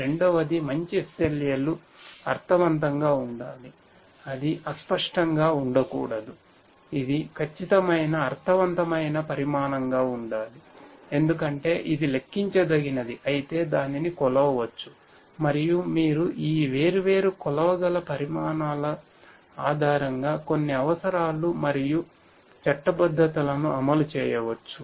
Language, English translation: Telugu, Second is that the good SLAs should be meaningful right, it should not be vague it should be precise meaningful quantifiable because only if it is quantifiable then it can be measured and you can enforce certain requirements and legalities etc